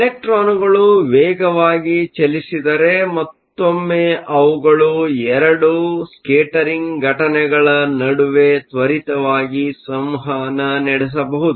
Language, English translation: Kannada, If the electrons are in travel faster, then once again they can interact between two scattering events quickly, so time will be short